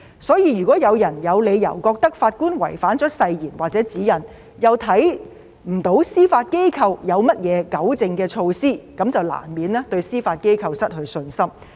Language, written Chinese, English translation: Cantonese, 所以，如果有人有理由認為法官違反了誓言或指引，又看不到司法機構有何糾正的措施，那麼便難免對司法機構失去信心。, Therefore if any person has reasons to think that a judge has acted contrary to the Oath or the Guide and if he does not see any remedial measure taken by the Judiciary it will inevitably undermine confidence in the Judiciary